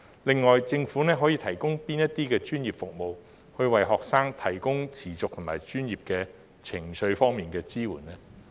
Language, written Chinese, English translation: Cantonese, 另外，政府可以提供哪些專業服務，為學生提供持續和專業的情緒支援呢？, Moreover what professional services can the Government provide to offer continuous and professional emotional support to students?